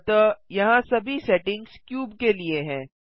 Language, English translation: Hindi, So all the settings here are for the cube